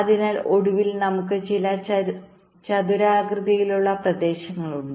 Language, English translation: Malayalam, so finally, we have some rectangular regions